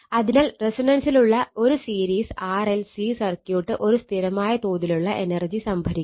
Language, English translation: Malayalam, Therefore a series RLC your series RLC circuit at resonance stores a constant amount of energy right